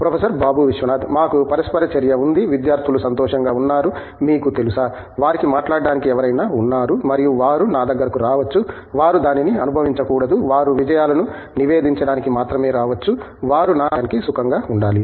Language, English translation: Telugu, We have an interaction the students feel happy that you know, they have someone to talk to and they can come to me they should not feel that they can come to only to report successes, they should feel comfortable coming to me